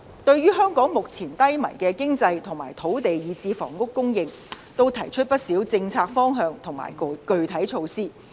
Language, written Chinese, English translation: Cantonese, 對於香港目前低迷的經濟和土地以至房屋的供應，也都提出了不少政策方向和具體措施。, In the face of the sluggish economy of Hong Kong as well as land and housing supply in the territory a number of policy directions and concrete measures have also been proposed